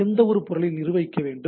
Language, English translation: Tamil, So, which object to be managed